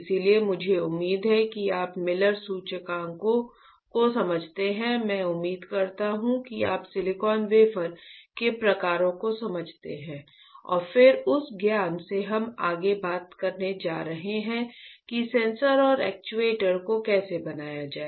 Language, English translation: Hindi, So, I expect that you understand Miller indices, I expect that you understand the types of silicon wafer and then from that knowledge we are going to talk further about how to fabricate sensors and actuators, alright